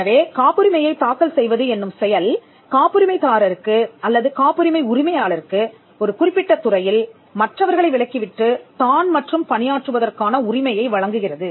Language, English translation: Tamil, So, filing a patent gives the patentee or the patent owner, the right to work in a particular sphere to the exclusion of others